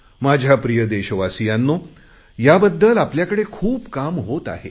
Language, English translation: Marathi, My dear fellow citizens, there is a lot of work being done in this direction